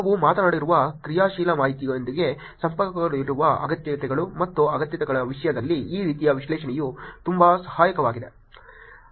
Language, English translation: Kannada, This kind of analysis in terms of wants and needs which is also connected to the actionable information that we talked about is very helpful